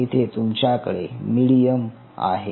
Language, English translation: Marathi, here you have the plating medium